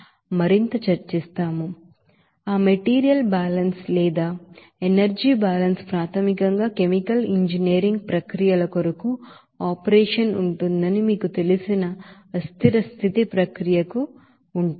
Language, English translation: Telugu, But that material balance or energy balance will be basically for the process where unsteady state you know operation will be there for chemical engineering processes